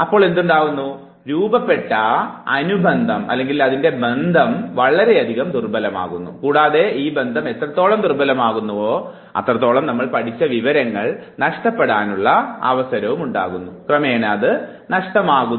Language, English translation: Malayalam, So what would happen then, the associative bond that is formed that becomes weaker enough and the weaker the bond becomes higher are the chances that you will forget the information